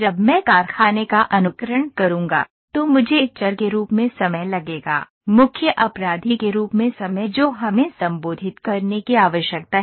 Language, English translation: Hindi, When I will do factory simulation, I will take time as the variable, there time as the main culprit that we need to address